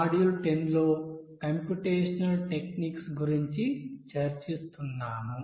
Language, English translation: Telugu, So we are discussing about computational techniques in module 10